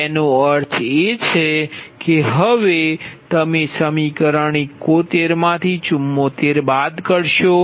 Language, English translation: Gujarati, now you subtract equation seventy four from equation seventy one